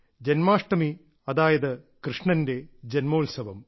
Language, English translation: Malayalam, This festival of Janmashtami, that is the festival of birth of Bhagwan Shri Krishna